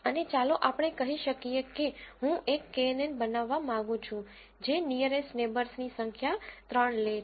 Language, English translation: Gujarati, And let us say I want to build a knn which takes the number of nearest neighbours as 3